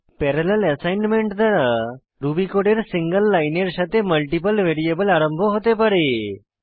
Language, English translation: Bengali, Multiple variables can be initialized with a single line of Ruby code, through parallel assignment